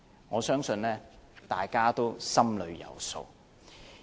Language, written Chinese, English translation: Cantonese, 我相信大家心裏有數。, I believe we all know the score